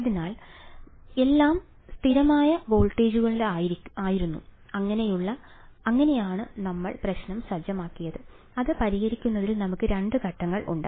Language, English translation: Malayalam, So, everything was at a constant voltage and that is how we had set the problem up and in solving it we had two steps right